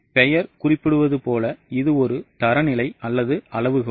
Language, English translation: Tamil, As the name suggests, it is a standard or a benchmark